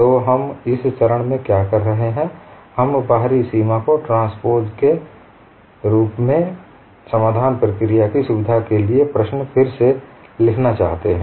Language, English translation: Hindi, So what we are doing in this step is, we want to recast the problem as the outer boundary being circular for facilitating a solution procedure